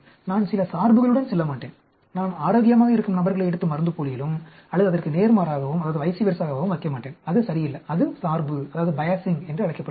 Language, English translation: Tamil, I will not go with certain bias, I will not take people who look healthy and put them into placebo or vice versa, that is not correct, that is called biasing